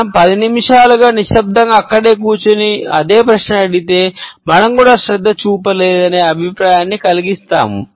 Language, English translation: Telugu, If we sat there quietly for ten minutes and asked the same question, we make the impression that we did not even pay attention